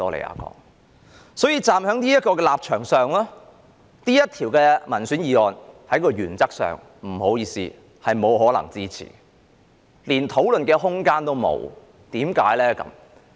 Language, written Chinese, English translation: Cantonese, 因此，站在這個立場上，不好意思，這項議員議案原則上是不可以支持的，甚至連討論的空間也沒有，為甚麼呢？, Therefore from this standpoint I am sorry to say that this Members motion cannot be supported in principle and there is even no room for discussion . Why?